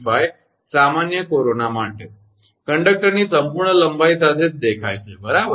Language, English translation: Gujarati, 85, for general corona, along the whole length of the conductor right